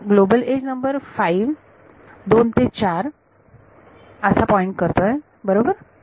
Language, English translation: Marathi, So, edge global edge number 5 points from 2 to 4 right